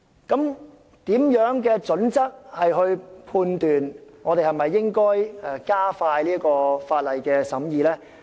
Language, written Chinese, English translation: Cantonese, 究竟有何準則判斷應否加快法案的審議呢？, What criteria should be adopted to determine whether the scrutiny of a Bill should be expedited?